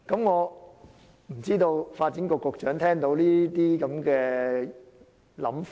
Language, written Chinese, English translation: Cantonese, 我不知道發展局局長對這些言論有何看法？, I wonder what the Secretary for Development thinks about this claim